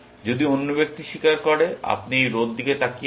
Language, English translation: Bengali, If the other person confesses, you are looking at this row